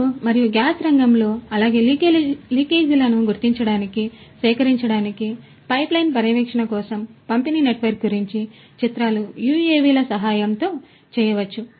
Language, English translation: Telugu, In the oil and gas sector as well for pipeline monitoring for detecting leakages, for collecting images about the distribution network all of these could be done with the help of UAVs